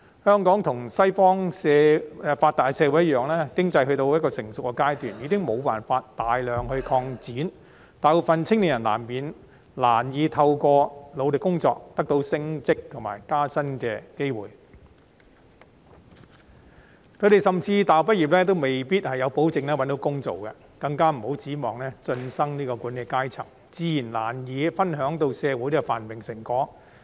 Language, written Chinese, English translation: Cantonese, 香港與西方發達的社會一樣，經濟已到了成熟階段，無法大幅擴展，大部分青年人難以透過努力工作得到升職及加薪的機會，甚至大學畢業亦未必可以保證找到工作，更別指望進身管理階層，這樣，他們自然難以分享到社會繁榮的成果。, Just like the Western developed societies Hong Kong has seen its economy reach a mature stage where significant expansion is no longer possible . For most young people it is difficult to get the opportunity for promotion or a pay rise through hard work . Even for university graduates there is no guarantee that they can secure employment not to mention moving up to the management level